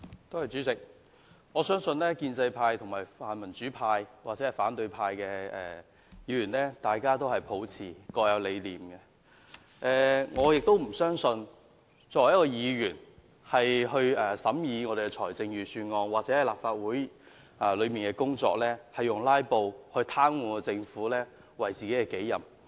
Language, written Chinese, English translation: Cantonese, 代理主席，我相信建制派、泛民主派或反對派的議員，大家都各有理想，我不信議員在審議財政預算案或立法會的工作時，會以"拉布"癱瘓政府為己任。, Deputy President I believe that Members of the pro - establishment the pan - democratic or the opposition camps have their own ideals and I do not believe that Members when examining the Budget or carrying out the work of the Legislative Council would regard it their responsibility to paralyse the Government by means of filibustering